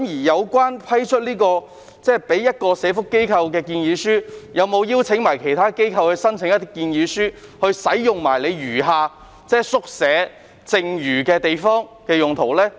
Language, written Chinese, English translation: Cantonese, 在收到一個社福機構的建議書後，有否邀請其他機構提交建議書以使用宿舍的剩餘地方？, After receiving a proposal from a social welfare organization have other organizations been invited to submit proposals to use the surplus space in the quarters?